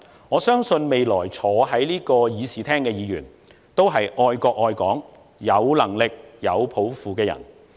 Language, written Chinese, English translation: Cantonese, 我相信未來坐在此議事廳的議員，都是愛國愛港、有能力、有抱負的人。, I believe that all Members who are sitting in this Chamber are capable and aspiring persons who love our country and Hong Kong